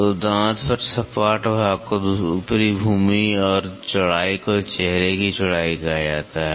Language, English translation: Hindi, So, then the flat portion on the tooth is called as the top land and the width is called as the face width